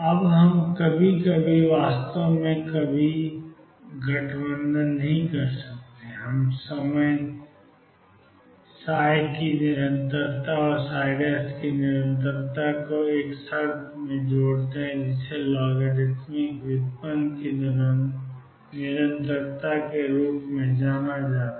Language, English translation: Hindi, Now, we sometimes combine in fact not some time all the time combine the continuity of psi and continuity of psi prime x in one condition known as a continuity of logarithmic derivative